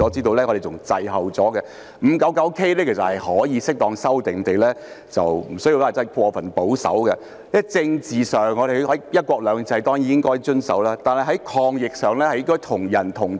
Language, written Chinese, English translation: Cantonese, 第 599K 章其實可以適當地修訂，無需過分保守，因為在政治上，我們當然應該遵守"一國兩制"，但在抗疫上，應該是"同人同體"的。, In fact Cap . 599K can be amended as appropriate without being overly conservative . This is because politically speaking we certainly should adhere to one country two systems but when it comes to fighting the epidemic we should be united as one